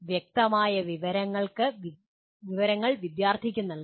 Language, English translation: Malayalam, Clear information should be provided to the student